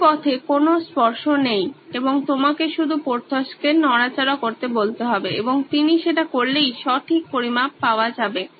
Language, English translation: Bengali, This way there is no touching and you just have to ask Porthos to move around and he would make the measurements quite accurately